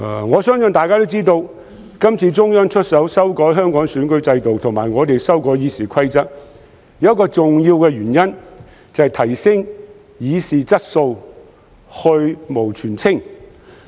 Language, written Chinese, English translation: Cantonese, 我相信大家也知道，今次中央出手修改香港選舉制度以及我們修改《議事規則》有一個重要的原因，就是提升議事質素，去蕪存菁。, I believe all of you know that this time the Central Authorities took the initiative to change the electoral system of Hong Kong and we have amended RoP for one important reason that is to enhance the quality of the Council in transacting business and separate the wheat from the chaff